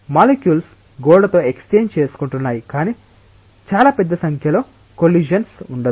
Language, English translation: Telugu, The molecules will be exchanging momentum with the wall, but there will not be very large number of collisions